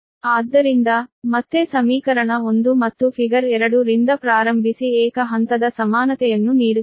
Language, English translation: Kannada, so, again, starting from equation one and figure two, that means this: one gives the single phase equivalent